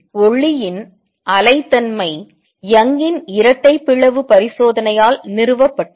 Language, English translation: Tamil, The wave nature of light was established by Young’s double slit experiment